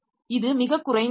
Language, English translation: Tamil, So, this is the lowest level